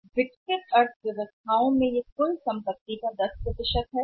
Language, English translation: Hindi, In the developed economies means it is around 10% of the total assets